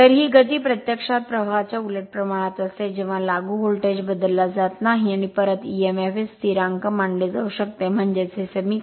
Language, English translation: Marathi, So, this speed is actually inversely proportional to the flux, when the applied voltage is not changed and back Emf can be considered constant that means, this equation